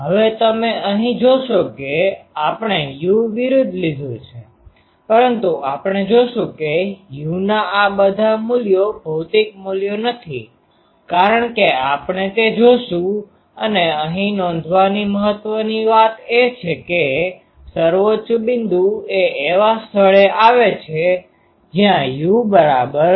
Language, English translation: Gujarati, Now here you will see that we have plotted versus u, but we will see that this all values of u are not physical values because, by we will see that and the important thing to note from here is that the peak comes at a point where u is equal to minus u not